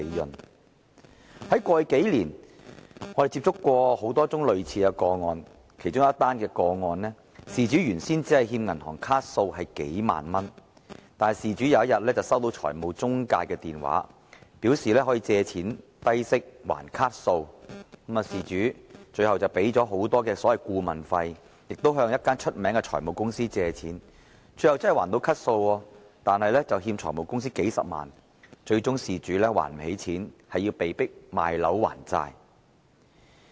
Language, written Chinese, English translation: Cantonese, 我們在過去數年曾接獲多宗類似個案，其中一宗個案，事主原本只欠銀行數萬元卡數，某天他收到財務中介的電話，表示可以低息借錢讓他償還卡數，最後事主付出了高昂的顧問費，向一間著名的財務公司借貸，最後真的清還了卡數，卻欠下財務公司數十萬元，最終無法還款，被迫賣樓還債。, One day he received a call from a financial intermediary who said that money could be lent to him at a low interest rate for settling his credit card bills . Eventually the victim paid a high consultation fee and raised a loan from a famous finance company . In the end he could really clear his credit card bills but then he owed the finance company several hundred thousand dollars